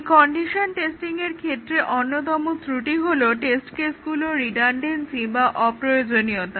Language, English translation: Bengali, So, this condition testing; some of the shortcomings are redundancy of test cases